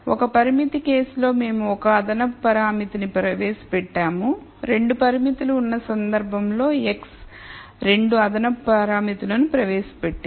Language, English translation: Telugu, In the one constraint case we introduced one extra parameter, in the 2 constraints case the x introduced 2 extra parameters